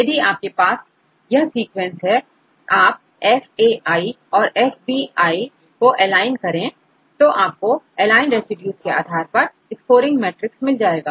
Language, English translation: Hindi, If you have this sequences you are aligned fa and fb, then we give this scoring matrix and depending upon the aligned residues